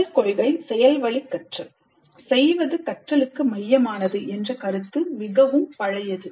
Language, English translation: Tamil, The first principle, learning by doing, the idea that doing is central to learning, it's fairly old